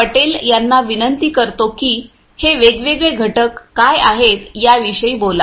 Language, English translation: Marathi, Patel to speak about it you know what are the different components